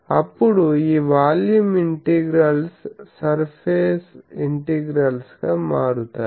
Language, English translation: Telugu, Then, this volume integrals will reduce to surface integrals